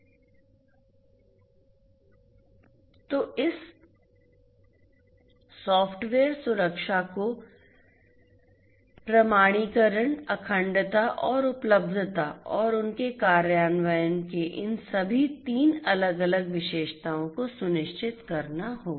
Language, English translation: Hindi, So, this software security will have to ensure all these three different features the features of authentication, integrity and availability and their implementation